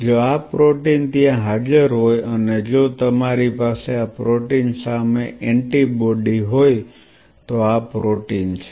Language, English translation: Gujarati, These are the proteins if these proteins are present there and if you have an antibody against this protein